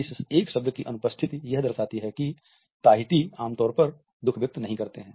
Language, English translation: Hindi, This absence of a word reflects that Tahitians do not typically express sadness